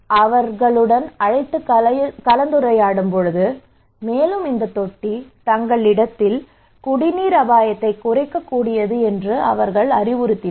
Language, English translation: Tamil, And he called him discussed with him and they advised that okay yes this tank is really potentially good to reduce the drinking water risk at your place